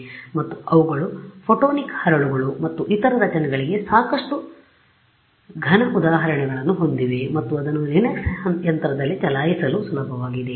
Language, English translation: Kannada, And, they have lots of other solid examples for photonic crystals and other structures like that and its easiest to run it on a Linux machine